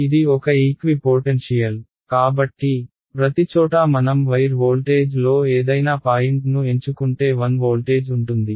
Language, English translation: Telugu, It is a equipotential; so, everywhere if I pick any point on the wire voltage will be 1 voltage right